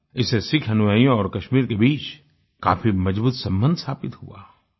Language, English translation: Hindi, This forged a strong bond between Sikh followers and Kashmir